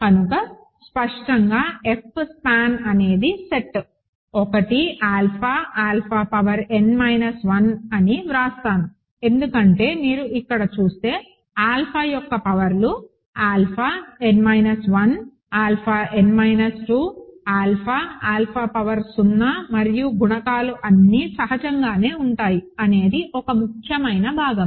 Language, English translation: Telugu, But this is obviously, in the span of I will write F span of the set 1, alpha, alpha power n minus 1, right, because only powers of alpha that you see here are alpha n minus 1, alpha n minus 2, alpha, alpha power 0 and the coefficients are all in of course, that is an important part, the coefficients are all in F